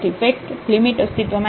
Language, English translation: Gujarati, In fact, the limit does not exist